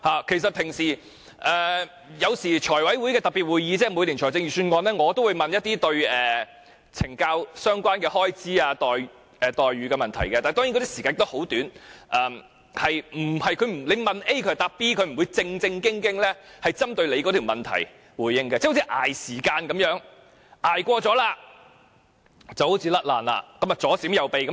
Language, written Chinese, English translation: Cantonese, 其實在財務委員會特別會議，即每年討論財政預算案的會議上，我也會問一些有關懲教署相關開支、待遇的問題，但當然發問的時間很短，我問 A， 他們會回答 B， 他們不會正面回應我的問題，好像在拖延時間般，拖過了就可以回避回答。, In fact at special meetings of the Finance Committee which are held annually for discussion on the Budget of that year I will raise questions on expenditure incurred by CSD or on the treatment of prisoners . Of course I am not given much time to raise questions and officers will never respond to me directly as if they simply try to play a delaying tactic until my question time is up